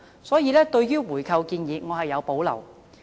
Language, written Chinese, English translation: Cantonese, 所以，對於回購的建議，我是有保留的。, Therefore I have reservations about these buy - back proposals